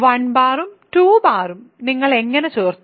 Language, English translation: Malayalam, How did you add 1 bar and 2 bar